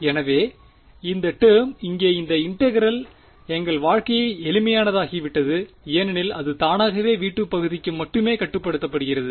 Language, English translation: Tamil, So, this term this integral over here our life has become simple because automatically it is restricted only to the region of interest v 2